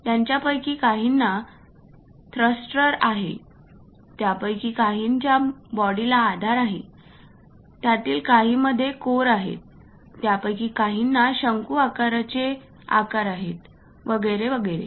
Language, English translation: Marathi, Some of them having thrusters, some of them having body supports, some of them having cores, some of them having conical kind of shapes and so on so things